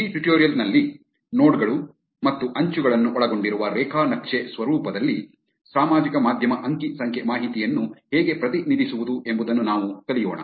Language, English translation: Kannada, In this tutorial, we will learn how to represent social media data in a graph format consisting of nodes and edges